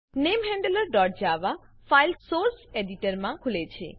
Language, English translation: Gujarati, The NameHandler.java file opens in the Source Editor